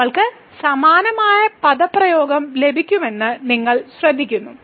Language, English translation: Malayalam, And then you will notice that we will get exactly the same expression